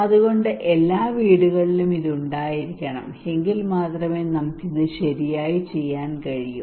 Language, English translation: Malayalam, So everybody should every household should have this one only then we can do it right like this